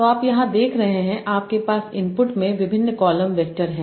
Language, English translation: Hindi, So you are seeing here in the input you have, so input you have various column vectors